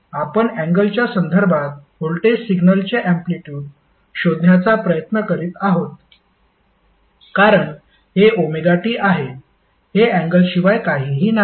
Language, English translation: Marathi, Now what we are doing in this figure we are trying to find out the amplitude of voltage signal with respect to angle because this is omega T that is nothing but angle